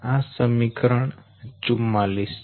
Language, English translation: Gujarati, this is equation forty four